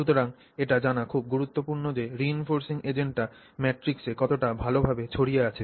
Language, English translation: Bengali, So, it is very important to know how well that reinforcing agent is dispersed in that matrix